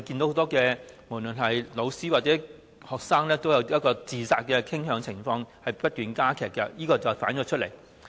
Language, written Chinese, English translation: Cantonese, 很多教師或學生都有自殺傾向，而情況正不斷惡化，反映他們承受的壓力越來越大。, Many teachers and students have a suicidal tendency and the situation is worsening . This reflects that they are suffering from mounting pressure